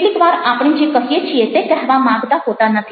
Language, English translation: Gujarati, sometimes we say things we don't mean